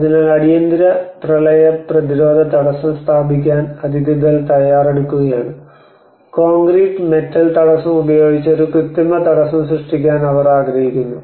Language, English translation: Malayalam, So the authorities are actually preparing to set up an emergency flood prevention barrier, and they want to make an artificial barrier using the concrete and metal barrier